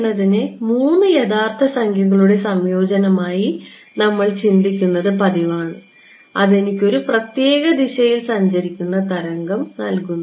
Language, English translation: Malayalam, We are used to thinking of k as a combination of three real numbers and that gives me a wave traveling in a particular direction right